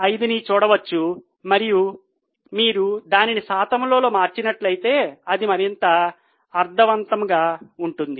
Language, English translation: Telugu, 055 and if you convert it in percentage then it is more meaningful